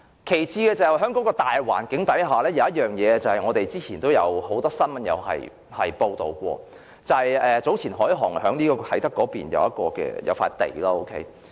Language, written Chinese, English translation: Cantonese, 其次，在大環境下，有一件事，之前也曾有很多新聞報道過，就是早前海航集團在啟德購入土地。, Besides in the broad environment there is this story which has been covered by a number of news reports before . It is about the acquisition of land at Kai Tak by the HNA Group earlier